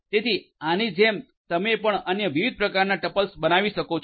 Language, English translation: Gujarati, So, like this you can built different other types of tuples as well